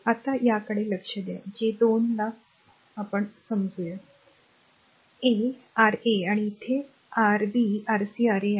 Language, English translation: Marathi, Now look into that that your what you call your 1 2 suppose R 1, R 2, R 3 and here it is your Rb, Rc, Ra right